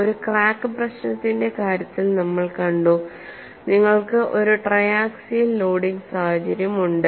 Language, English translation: Malayalam, We have seen in the case of a crack problem you have a triaxial loading situation